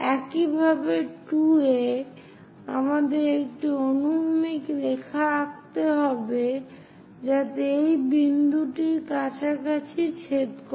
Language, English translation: Bengali, Similarly, at 2, we have to draw horizontal line to intersect; it is more or less at this point